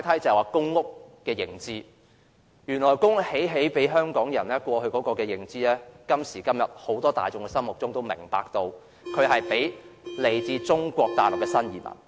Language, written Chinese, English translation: Cantonese, 眾所周知，過往公屋興建給香港人居住，但時至今日，入住公屋的卻是來自中國大陸的新移民。, As we all know public housing was built for Hong Kong people in the past . However new immigrants from Mainland China are allocated PRH units nowadays